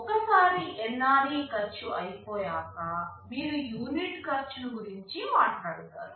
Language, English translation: Telugu, And once you have this NRE cost covered, you talk about unit cost